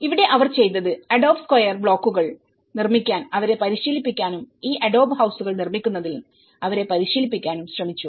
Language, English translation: Malayalam, And here, what they did was they tried to train them making adobe square blocks and train them in making this adobe houses